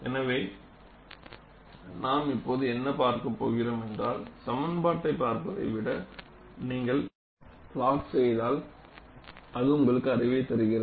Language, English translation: Tamil, So, what we are going to look at now is, rather than looking at these as expressions, if you plot them, that gives you some kind of an insight